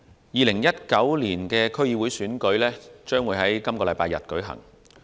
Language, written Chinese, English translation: Cantonese, 2019年區議會選舉將於本星期日舉行。, The 2019 District Council DC Election will be held this Sunday